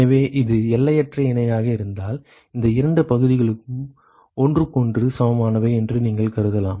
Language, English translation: Tamil, So, if it is infinitely parallel, then you could assume that these two areas are equal to each other